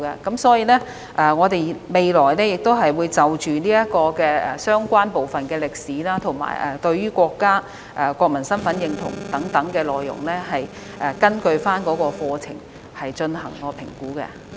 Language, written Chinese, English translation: Cantonese, 因此，我們未來會就相關部分的歷史、對國家及國民身份的認同等內容，根據課程進行評估。, Therefore in the future we will conduct assessments based on our curriculum to see how much the students know about the relevant history our country national identity etc